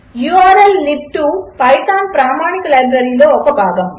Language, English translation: Telugu, urllib2 is a part of the python standard library